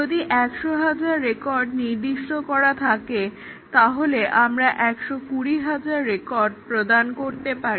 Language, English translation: Bengali, If it is specified hundred, thousand records we might give hundred, twenty thousand records